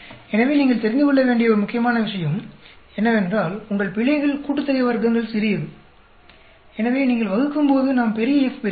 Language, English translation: Tamil, So, one important point you need to know is your errors sum of squares is small, so when you divide we get large F